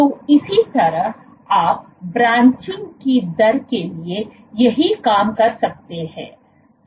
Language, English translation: Hindi, So, similarly you can do the same thing for the rate of branching